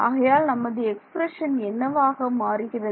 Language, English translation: Tamil, So, what does my expression become